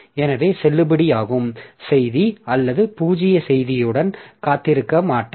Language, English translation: Tamil, So, so whether the valid message or null message with that the receiver will continue but receiver will not wait for the message to be available